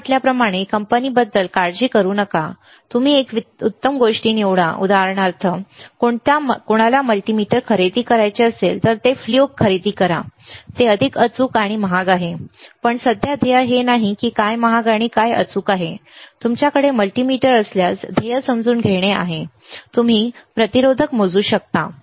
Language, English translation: Marathi, Do not worry about the company like I said, you select a best thing for example, if somebody wants to buy multimeter, they will go for fluke, it is it is even more precise more costly right, but we right now the goal is not to understand which is costly which is precise, goal is to understand if you have a multimeter, can you measure the resistors